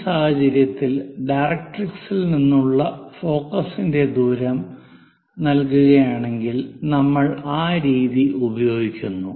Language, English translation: Malayalam, In this case, the distance of focus from the directrix will be given distance of focus from the directrix